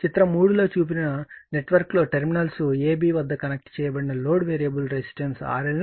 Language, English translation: Telugu, In the network shown in figure 3 the load connected across terminals AB consists of a variable resistance R L right